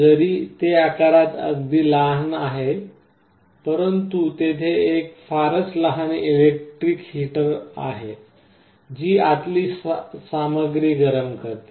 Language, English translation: Marathi, Although it is very small in size, there is a very small electric heater that heats up the material inside